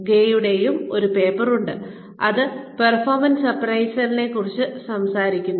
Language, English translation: Malayalam, There is a paper by Gray, that talks about performance appraisals